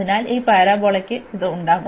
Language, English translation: Malayalam, So, this parabola will have this